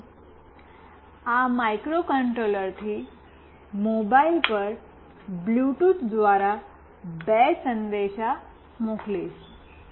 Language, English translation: Gujarati, Now, I will send two messages through Bluetooth from this microcontroller to this mobile